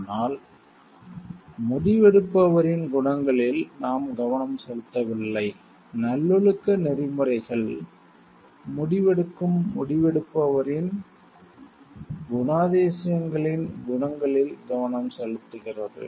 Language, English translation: Tamil, But we have not focused on the qualities of the decision maker, virtue ethics focuses on the qualities of the traits of the decision maker who makes the decision